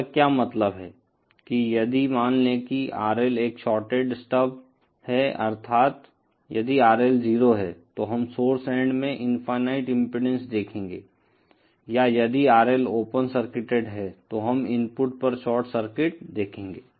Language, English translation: Hindi, What it means that if suppose RL is a shorted stub, that is if RL is 0, then we will see infinite impedance at the source end up or if RL is open circuited, then we will see a short circuit at the input